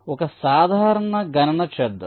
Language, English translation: Telugu, so lets make a simple calculation